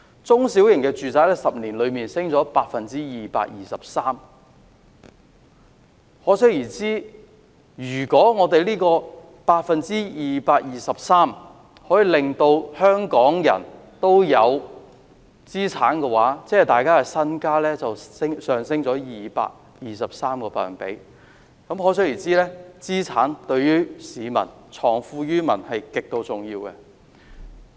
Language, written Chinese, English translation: Cantonese, 中小型住宅在10年內升幅 223%， 可想而知，如果政府可以令香港人擁有資產，即大家的身家便會上升 223%， 所以資產對藏富於民是極度重要的。, The price of a small - to - medium - sized flat has gone up 223 % within 10 years here . One could imagine if the Government managed to help Hong Kong people to acquire their own property peoples capital would have gone 223 % . Capital is thus a very important means for the Government to leave wealth with the people